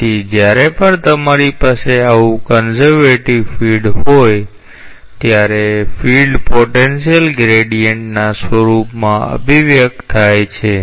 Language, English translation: Gujarati, So, whenever you have such a conservative field, the field is expressible in form of gradient of a potential